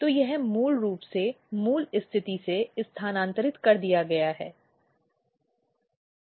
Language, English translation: Hindi, So, it is basically shifted from the original position